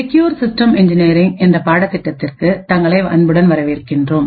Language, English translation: Tamil, Hello and welcome to this lecture in the course for Secure Systems Engineering